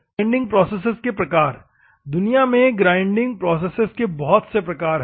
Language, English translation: Hindi, The types of grinding processes, there are varieties of grinding processes in the world